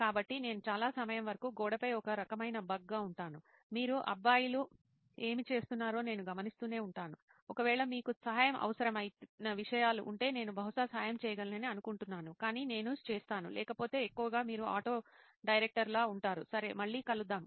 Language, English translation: Telugu, So I will be sort of a bug on the wall for most of the time I will just be observing what you guys are doing, in case there are things that you need help with I think that I can probably butt in and probably help, I will do that otherwise mostly you are sort of auto director, ok over see you guys